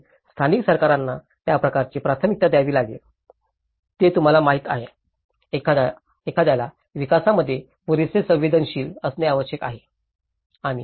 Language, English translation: Marathi, So, the local governments have to give that kind of priority that you know, one has to be sensitive enough in the development